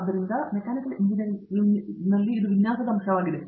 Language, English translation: Kannada, So, that is the design aspect of Mechanical Engineering